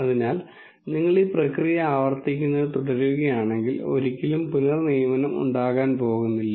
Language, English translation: Malayalam, So, if you keep repeating this process there is no never going to be any reassignment